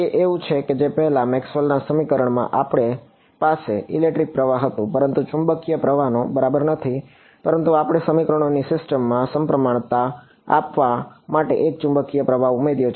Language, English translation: Gujarati, It is just like how in Maxwell’s equations earlier we had an electric current, but no magnetic current right, but we added a magnetic current to give symmetry to the system of equations